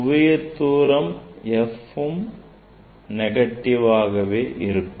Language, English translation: Tamil, that is what it is a f is negative